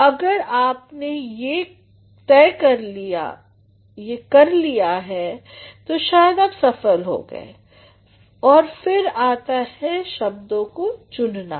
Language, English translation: Hindi, So, if you have done this, then perhaps you are successful, and then comes the choice of words